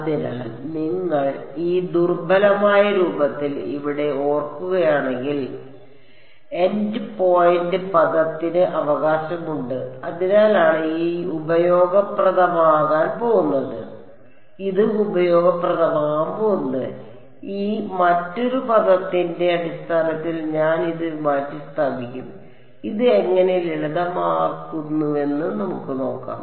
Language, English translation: Malayalam, So, you notice if you recall over here this in the weak form the endpoints term has a d U by d x right that is why this is going to be useful I will substitute this d U by d x in terms of this other term over here we will see how it leads to simplifications